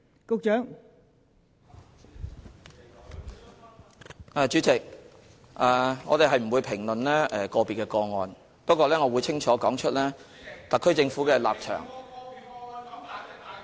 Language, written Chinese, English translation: Cantonese, 代理主席，我們不會評論個別個案，但我會清楚說出特區政府的立場......, Deputy President we will not comment on individual cases but I will clearly spell out the position of the HKSAR Government